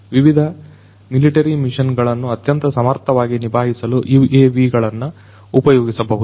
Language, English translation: Kannada, The UAVs could be used to carry out different missions military missions in a much more efficient manner